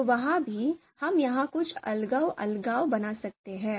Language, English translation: Hindi, So there also, we can make certain segregation here